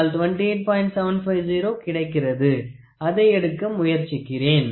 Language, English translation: Tamil, 750 then I try to take